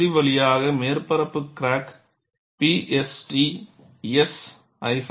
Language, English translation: Tamil, And this is part through surface crack P S T S hyphen L